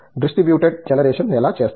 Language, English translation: Telugu, How do you do distributed generation